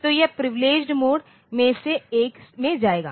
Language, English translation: Hindi, So, it will go to one of the privileged mode